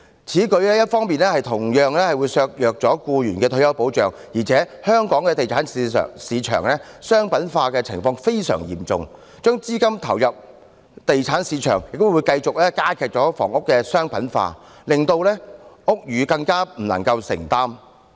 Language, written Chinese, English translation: Cantonese, 此舉一方面同樣削弱了僱員的退休保障，而且香港地產市場商品化的情況非常嚴重，把資金投入地產市場亦會繼續加劇房屋的商品化，令樓價更無法承擔。, For one thing this proposal also undermines the retirement protection of employees . And for another the commercialization of housing is very serious in Hong Kong . Investing money in the property market will continue to fuel the commercialization of housing resulting in aggravating further the unaffordability of property acquisition